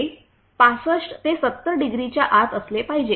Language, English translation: Marathi, It must be within 65 70 degree